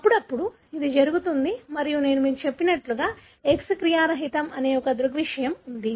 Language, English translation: Telugu, Occasionally, that happens and as I told you there is a phenomenon called, X inactivation